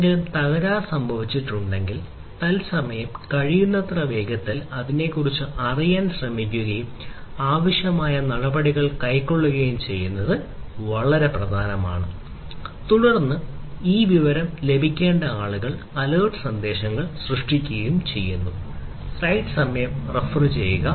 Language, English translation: Malayalam, If something has gone wrong trying to know about it as quickly as possible in real time and taking the requisite action is very important and then generating alert messages for the for the people, who actually need to have this information